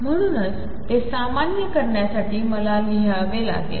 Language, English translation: Marathi, And therefore, to normalize it, I have to write